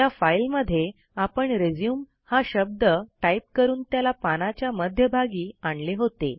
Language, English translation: Marathi, We had previously typed the word RESUME and aligned it to the center of the page